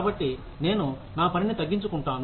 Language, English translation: Telugu, So, I will cut down on my work